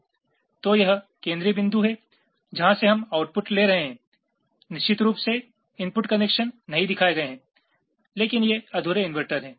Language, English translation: Hindi, ok, you, of course the input connections are not shown, but these are incomplete inverter